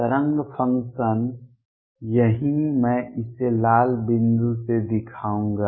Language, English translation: Hindi, The wave function right here I will show it by red point